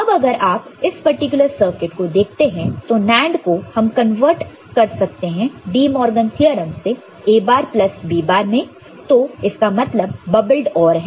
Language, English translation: Hindi, Now, if you look at this particular circuit NAND can be converted to from this your De Morgan’s theorem A bar plus B bar, so that means, bubbled OR